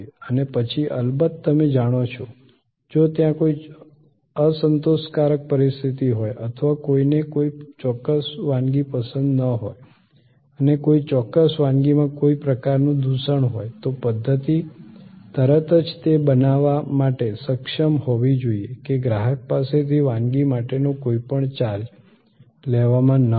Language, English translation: Gujarati, And then of course, you know, if there is an unsatisfactory situation or somebody did not like a particular dish and there was some kind of contamination in a particular dish, the system should be able to immediately create that the customer is not charged for that dish